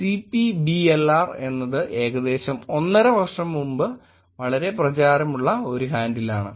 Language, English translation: Malayalam, So CPBLR, at CPBLR is a handle that got very popular about one and half years before